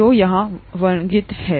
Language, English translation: Hindi, That is what is described here